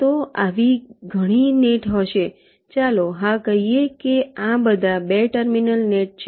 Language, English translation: Gujarati, let say, ah, ok, yes, these are all two terminal net